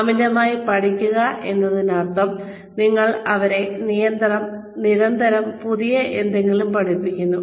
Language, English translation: Malayalam, Over learning means, you constantly teach them, something new